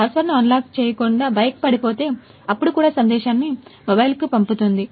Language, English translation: Telugu, Without unlocking the password if the bike falls off, then also it will send the message to mobile I got a notification